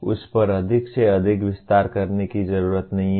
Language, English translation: Hindi, One does not have to elaborate more and more on that